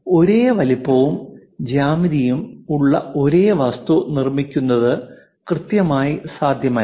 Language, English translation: Malayalam, So, its not precisely possible to make the same object of same size and geometry